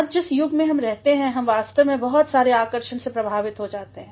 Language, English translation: Hindi, Today the age that we are living in, we are actually influenced by lots of attractions